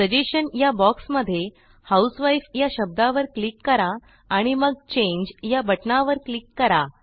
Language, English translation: Marathi, In the suggestion box,click on the word housewife and then click on the Change button